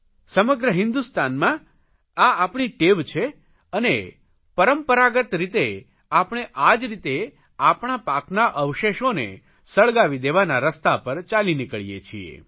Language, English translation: Gujarati, It is a practice in the entire country and traditionally we follow this method of burning off the remains of the crops or the straw